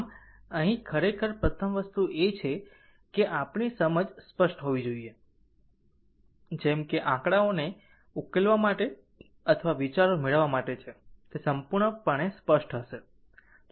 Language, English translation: Gujarati, So, here actually ah first thing is that you know our understanding should be clear, such that you know for for solving numericals or for getting ideas things will be totally clear, right